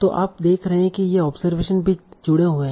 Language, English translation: Hindi, So you are seeing these observations are also connected